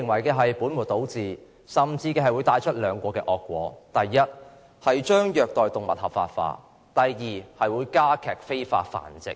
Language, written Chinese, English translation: Cantonese, 如此本末倒置會帶來兩個惡果：第一，將虐待動物合法化；第二，助長非法繁殖。, Such a practice of putting the cart before the horse will result in two bad consequences first the legalization of animal abuse; and second the growth of illegal breeding